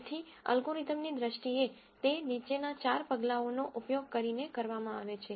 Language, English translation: Gujarati, So, in terms of the algorithm itself it is performed using the following four steps